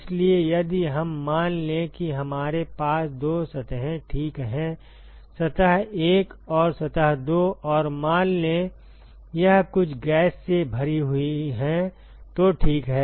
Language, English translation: Hindi, So, if we suppose we assume that we have two surfaces ok, surface 1 and surface 2 and let us say it is filled with some gas ok